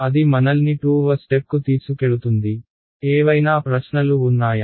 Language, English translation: Telugu, Let see that takes us to step 2; any questions